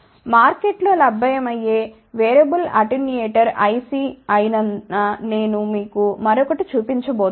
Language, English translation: Telugu, I am also going to show you one another thing which is a variable attenuator IC available in the market